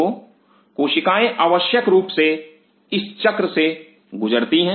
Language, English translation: Hindi, So, cell essentially goes through this cycle